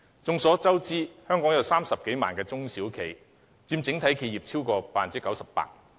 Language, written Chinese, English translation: Cantonese, 眾所周知，香港有30多萬家中小型企業，佔整體企業超過 98%。, As we all know there are more than 300 000 small and medium enterprises SMEs in Hong Kong representing more than 98 % of the total number of enterprises